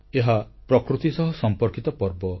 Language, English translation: Odia, This is a festival linked with nature